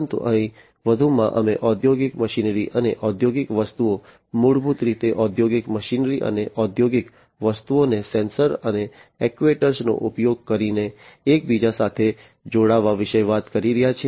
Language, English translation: Gujarati, But, here additionally we are talking about consideration of industrial machinery, and industrial things, basically the industrial machinery, and industrial objects interconnecting them using sensors and actuators